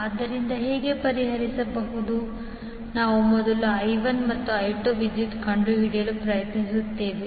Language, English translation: Kannada, So, how to solve, we will first try to find out the currents I1 and I2